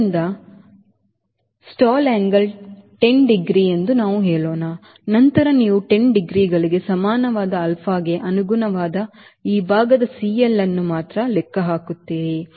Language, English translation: Kannada, so lets say its stall angle is ten degrees, then you only, we will calculate c l of this portion corresponding to alpha equal to ten degree